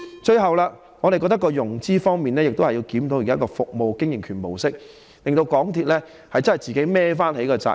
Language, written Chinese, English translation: Cantonese, 最後，我們認為在融資方面，亦須檢討現時的服務經營權模式，讓港鐵自行負上全部責任。, Lastly we believe that in respect of financing it is also necessary to review the present concession approach and make MTRCL assume all responsibility on its own